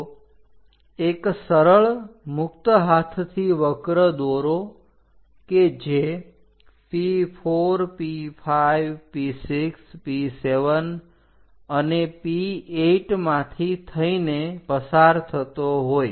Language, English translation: Gujarati, So, join by a smooth, free hand curve, which pass through P4, P5, P6, P7 and P8